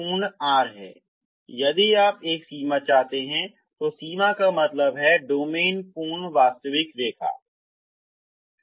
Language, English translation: Hindi, Domain is full r so you want if you want a boundary, boundary means the domain is full real line